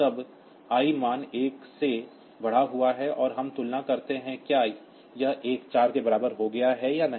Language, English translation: Hindi, Then I value is implemented by 1, and we compare whether this a has become equal to 4 or not